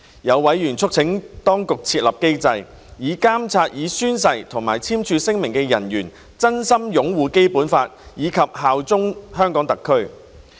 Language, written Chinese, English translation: Cantonese, 有委員促請當局設立機制，以監察已宣誓或簽署聲明的人員真心擁護《基本法》及效忠香港特區。, Some members urged the Administration to establish a mechanism to monitor that the staff who took the oathsigned the declaration would genuinely uphold the Basic Law and bear allegiance to HKSAR